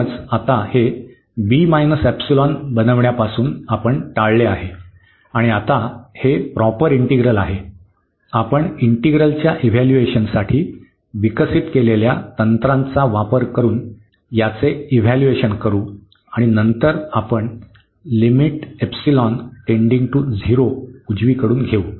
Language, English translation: Marathi, So, we have avoided now this b making this b minus epsilon and now this is nice integral, the proper integral which we will evaluate using the techniques developed for the evaluation of the integral and later on we will take the limit epsilon tending to 0 from the right side